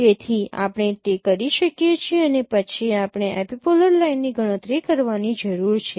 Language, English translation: Gujarati, So we can do that and then we need to compute the epipolar line